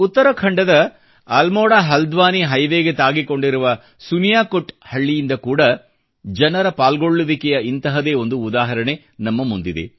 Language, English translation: Kannada, Village Suniyakot along the AlmoraHaldwani highway in Uttarakhand has also emerged as a similar example of public participation